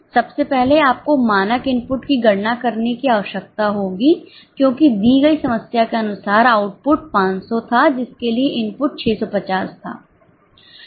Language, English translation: Hindi, First of all, you will need to calculate the standard input because as per the given problem, the input was, output was 500 for which the input was 650